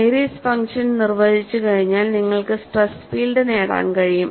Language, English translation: Malayalam, Once Airy's function is defined, it is possible for you to get the stress field